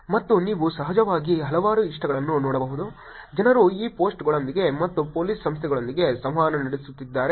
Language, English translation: Kannada, And you can of course see a number of likes, people interacting with these posts, with the Police Organizations